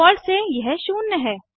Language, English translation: Hindi, By default, it is zero